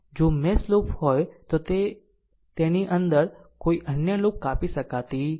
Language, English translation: Gujarati, If mesh is a loop it does not cut any other loop within it right